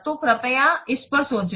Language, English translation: Hindi, So please think up on this